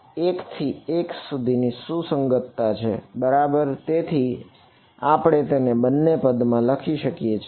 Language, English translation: Gujarati, So, we can write it in either terms